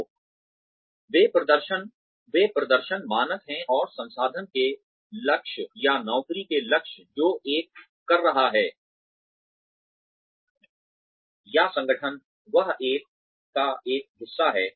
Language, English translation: Hindi, So, those are the performance standards, and the goals of the institute, or goals of the job, that one is doing, or the organization, that one is a part of